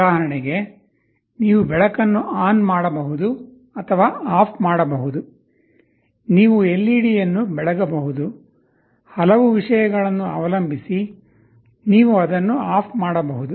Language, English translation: Kannada, Like for example, you can turn on or turn off a light, you can glow an LED, you can turn it off depending on so many things